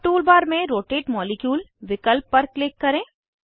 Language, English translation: Hindi, Now Click on Rotate molecule option in the tool bar